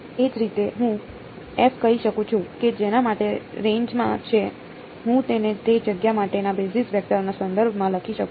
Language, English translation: Gujarati, Similarly I can say that for f which is in the range I can write it in terms of the basis vectors for that space right